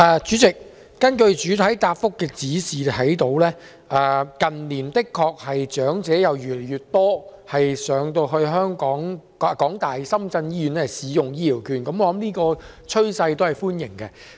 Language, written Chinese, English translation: Cantonese, 主席，從主體答覆可見，近年確實有越來越多長者前往港大深圳醫院使用醫療券，這趨勢顯示計劃受到歡迎。, President as shown by the main reply in recent years there has really been an increasing number of elderly people using HCVs in HKU - SZH . This trend indicates the popularity of the Scheme